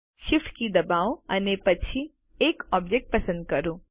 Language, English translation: Gujarati, Press the Shift key and slect the object one after another